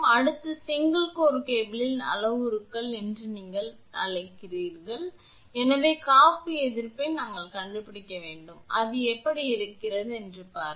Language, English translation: Tamil, Next, let us come to the your what you call ins parameters of single core cable so insulation resistance we have to find out, look how it is